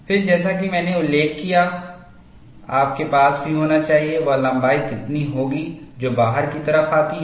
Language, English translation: Hindi, Then, as I mentioned, you also need to have, what should be the length that it comes out